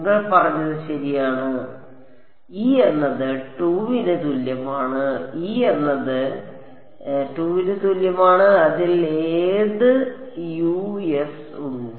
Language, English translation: Malayalam, You are right e is equal to 2; e is equal to 2 has which Us in it